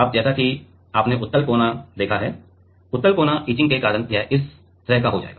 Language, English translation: Hindi, Now, as you have seen the convex corner, because of the convex corner etching it will become like this right